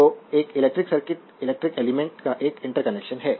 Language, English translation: Hindi, Therefore, an electric circuit is an interconnection of electrical elements